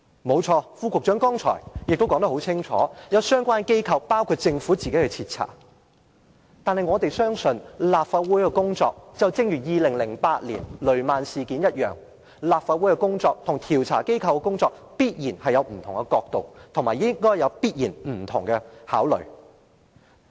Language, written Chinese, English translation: Cantonese, 沒錯，副局長剛才已說得很清楚，有相關機構，包括政府自己正在徹查事件。但我們相信，如同調查2008年的雷曼事件一般，立法會的工作和調查機構的工作必然會有不同角度，也必然會有不同考慮。, It is true that as clearly pointed out by the Under Secretary just now thorough investigations are being conducted by the agencies concerned including the Government itself but we believe that as in the investigation of the Lehman incident in 2008 there will definitely be different perspectives and considerations in the respective inquiries carried out by the Legislative Council and other investigation agencies